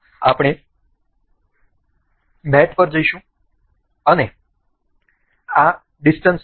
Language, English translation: Gujarati, We will go to mate and this distance limit